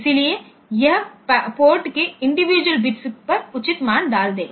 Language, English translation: Hindi, So, it will putting the proper values on to individual bits of the port